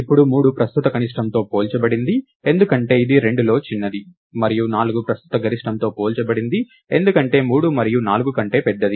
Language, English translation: Telugu, Now 3 is compared with the current minimum, because its the smaller of the 2, and 4 is compared with the current maximum, because it is larger of 3 and 4